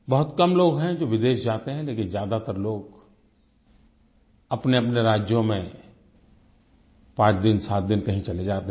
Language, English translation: Hindi, There are very few people who go abroad; most people visit places within their own states for a week or so